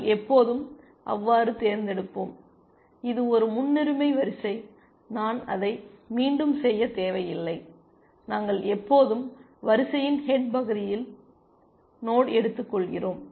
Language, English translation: Tamil, We always pick so, it is a priority queue, I do not need to repeat that, we always take the node at the head of the queue